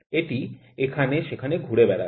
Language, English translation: Bengali, It would just keep on moving here and there